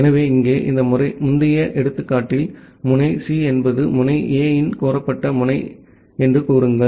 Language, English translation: Tamil, So, here in this preceding example, say node C is the solicited node of node A